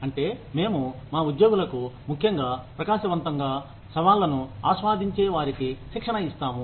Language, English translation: Telugu, That, we train our employees, especially those that are really bright, that enjoy challenge